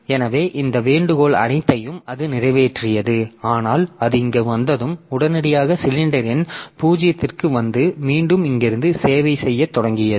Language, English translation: Tamil, So, it served all this request but when it reached here then it immediately came back to the cylinder number 0 and started servicing again from here